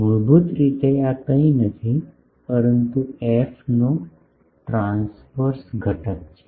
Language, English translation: Gujarati, Basically, this is nothing, but the transverse component of the f